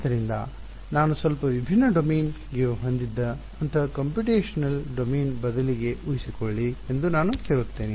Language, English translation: Kannada, So, let me ask you supposing instead of such a computational domain I had a bit of a slightly different domain